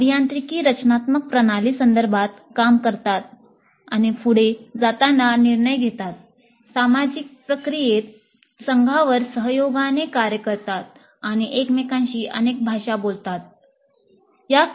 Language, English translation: Marathi, Engineering designers perform in a systems context, making decisions as they proceed, working collaboratively on teams in a social process, and speaking several languages with each other